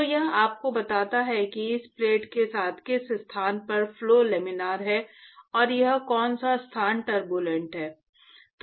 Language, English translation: Hindi, So, that tells you which location along this plate, the flow is Laminar and which location it is Turbulent